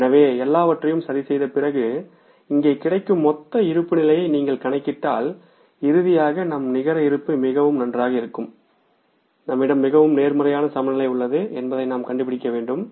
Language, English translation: Tamil, So if you calculate the total balance available here after adjusting for everything, then finally we will be able to find out that our net balance is going to be very good, very positive balance we have with us